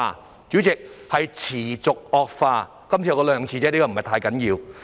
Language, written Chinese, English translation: Cantonese, 代理主席，是持續惡化，我只說兩次，因為不是太緊要。, Deputy President it is continue to aggravate . I only said it twice because the situation is not that bad